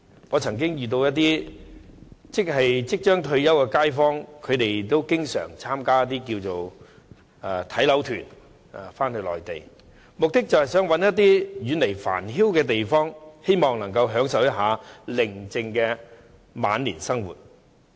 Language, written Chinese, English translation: Cantonese, 我曾經遇到一些即將退休的街坊，他們經常返回內地參加"睇樓團"，目的是希望尋找遠離繁囂的地方，享受寧靜的晚年生活。, I have met some local residents who will soon retire . They often join property inspection tours on the Mainland with the aim of finding a place where they can escape from the hustle and bustle of life and enjoy a tranquil retirement life